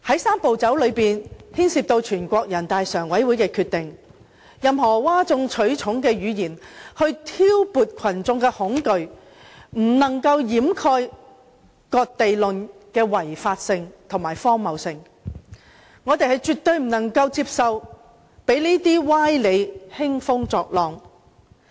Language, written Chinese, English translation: Cantonese, "三步走"牽涉全國人民代表大會常務委員會的決定，任何譁眾取寵的言論想挑撥群眾恐懼，也不能掩蓋"割地論"是違法和荒謬的，我們絕不接受讓這些歪理輕風作浪。, And the proposed Three - step Process involves a decision to be made by the Standing Committee of the National Peoples Congress . Any claptrap that seeks to arouse fear in the community cannot conceal the illegitimacy and stupidity of the ceding Hong Kong land for co - location theory . We definitely do not accept such fallacious reasoning to cause havoc in the community